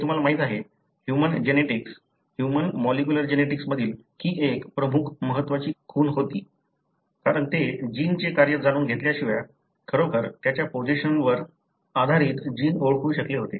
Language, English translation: Marathi, It was like a, you know, major landmark in human genetics, human molecular genetics, because they were able to identify a gene without really knowing the function of the gene, really based on its position